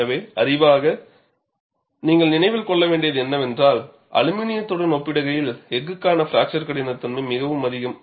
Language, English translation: Tamil, So, the knowledge base, what you should keep in mind is, fracture toughness for steel is quite high in comparison to aluminum, which we had seen graphically also earlier